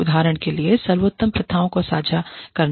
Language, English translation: Hindi, For example, sharing best practices